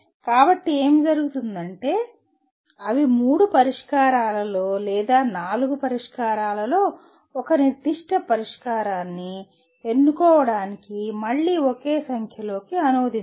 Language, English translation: Telugu, So what happens is they do not exactly translate into one single number to determine again to select among three solutions or four solutions one particular solution